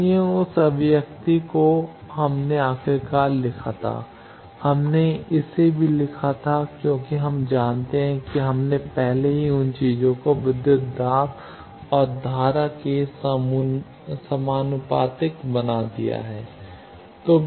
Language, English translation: Hindi, So, that expression we wrote finally, we also wrote it as we know already we have made those a plus thing as proportional to voltage and current